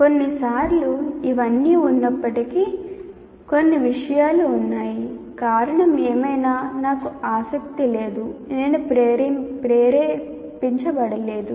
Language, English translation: Telugu, And sometimes in spite of all this, some subjects I am not interested for whatever reason